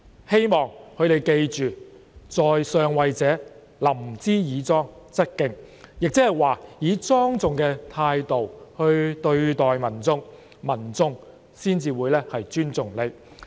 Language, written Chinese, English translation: Cantonese, 希望他們記得，在上位者，臨之以莊則敬，換言之，以莊重的態度來對待民眾，民眾才會尊重他。, I hope they should bear in mind that those holding high offices should treat people with dignity in order to earn their respect . In other words if officials treat the public with dignity the public will respect them